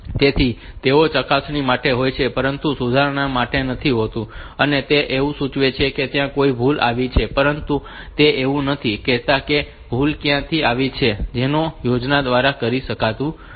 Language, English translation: Gujarati, So, they are for checking, but not correction that they will indicate that a error has occurred and they do not say like where and where is the error that cannot be told by these schemes